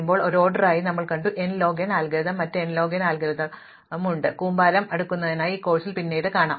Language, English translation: Malayalam, We have seen merge sort as an order n log n algorithm, there are other n log n algorithms we will see one later on in this course called heap sort